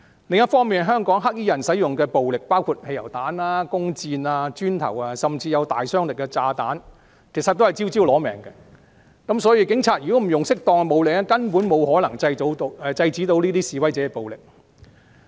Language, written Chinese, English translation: Cantonese, 另一方面，香港"黑衣人"使用的暴力，包括汽油彈、弓箭、磚塊，甚至有大殺傷力的炸彈，真的是招招"攞命"，要是警察不使用適當的武力，根本無法制止示威者的暴力。, On the other hand the violence used by the black clad in Hong Kong includes petrol bombs arrows and bricks and even bombs of massive destructive power that can kill people . All these weapons are lethal . If the Police do not apply appropriate force they cannot stop protesters from using violence